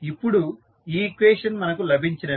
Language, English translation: Telugu, Now, we have got these two equations